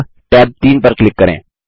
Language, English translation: Hindi, Now, click on tab 3